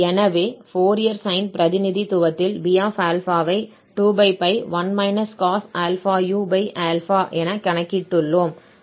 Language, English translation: Tamil, So, in this Fourier sine representation, we have computed this B as 2/p (1 cos